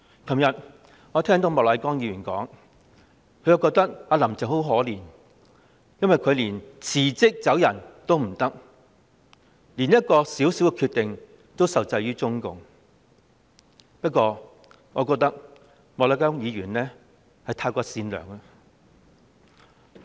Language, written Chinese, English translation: Cantonese, 昨天我聽到莫乃光議員在發言中提到"林鄭"很可憐，想辭職也辭不了，連作一個小小決定也受制於中共，但我認為莫乃光議員實在太善良。, I heard Mr MOK say in his speech yesterday that Carrie LAM was pitiful for she wanted to resign but could not for even a minor decision was restrained by CPC . But I think Mr MOK is too kind